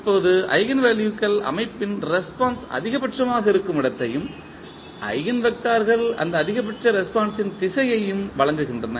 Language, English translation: Tamil, Now, eigenvalues provide where the response of the system is maximum and eigenvectors provide the direction of that maximum response